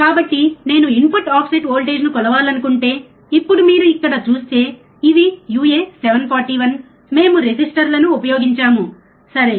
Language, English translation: Telugu, So, if I want to measure the input offset voltage, now you see here these are uA741, we have used resistors, right